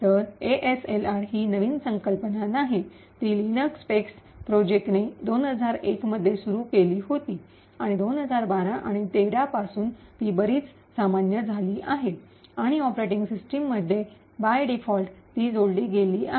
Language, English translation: Marathi, So, the ASLR is not a new concept, it was initiated by the Linux PaX project in 2001 and since 2012 or 2013 it is becoming quite common and added by default in the operating system